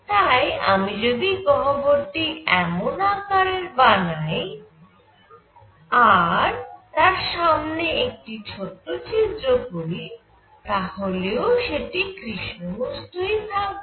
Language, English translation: Bengali, So, I could have this cavity of this shape have a small hole here and even then it will be a black body